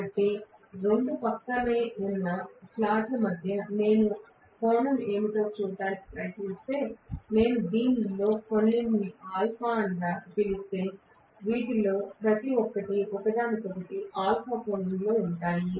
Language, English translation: Telugu, So, between the two adjacent slots if I try to see what is the angle, if I may call this as some alpha, each of these are going to be delayed from each other by an angle alpha